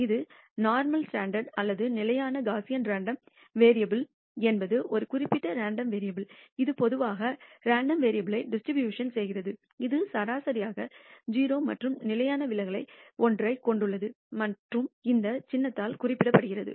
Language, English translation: Tamil, A standard normal or standard Gaussian random variable is a particular random variable, which has normally distributed random variable which has mean 0 and standard deviation one and denoted by this symbol